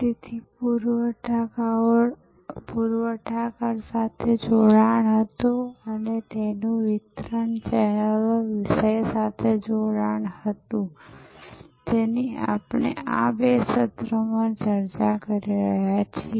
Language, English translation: Gujarati, So, it had connection with suppliers and it had connection with the deliverers, the channels, the topic that we are discussing in these two sessions